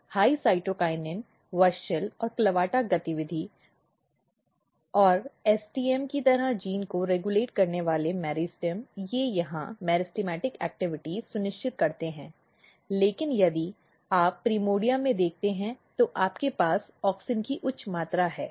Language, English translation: Hindi, So, if you look here in the meristem you have WUSCHEL and CLAVATA activity, high cytokinin WUSCHEL and CLAVATA activity and the gene meristem regulating gene like STM they ensures meristematic activity here, but if you look in the primordia you have high amount of auxin